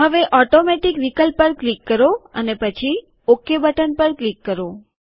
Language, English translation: Gujarati, Now click on the Automatic option and then click on the OK button